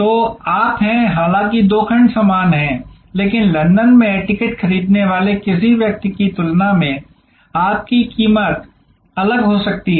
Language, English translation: Hindi, So, you are, though the two segments are same, but your price may be different compare to somebody who buying the ticket in London